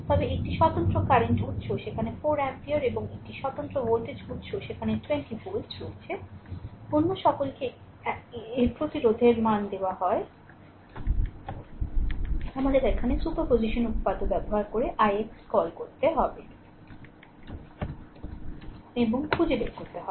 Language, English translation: Bengali, But one independent current source is there 4 ampere and one independent voltage source is there 20 volt, all others are eh resistance values are given, we have to find out here what you call i x using superposition theorem right